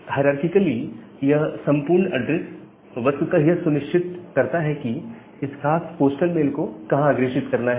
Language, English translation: Hindi, So, all these things this entire address actually hierarchically determine that where to forward that particular postal email